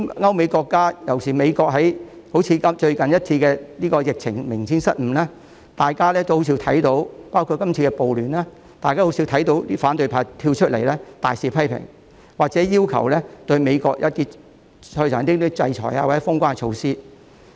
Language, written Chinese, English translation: Cantonese, 歐美國家——尤其是美國——在近期的疫情中明顯處理失誤，包括今次的暴亂，大家卻很少看到反對派公開大肆批評，或者要求制裁美國或實施封關措施。, European and American countries―especially the United States―have apparently made mistakes when dealing with the recent epidemic including the riot this time yet we seldom see the opposition camp publicly criticize them bitterly or demand sanctions against the United States or to close the door